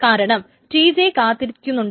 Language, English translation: Malayalam, Due to which TJ is waiting